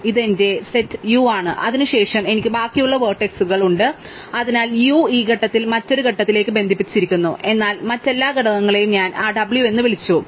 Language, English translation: Malayalam, So, this is my set U and then I have the rest of the vertices, so U is connected at this point to something in a different component, but that an all the other components is what I called that W